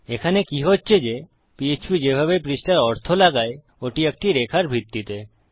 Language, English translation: Bengali, What we have is the way php interprets the pages its on a single line basis